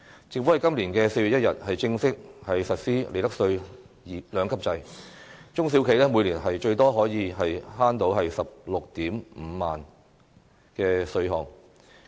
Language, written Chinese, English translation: Cantonese, 政府在今年4月1日正式實施利得稅兩級制，中小企每年最多可節省 165,000 元的稅項。, The Government formally implemented the two - tiered profits tax rates regime on 1 April this year . A small or medium enterprise may save up to 165,000 in tax each year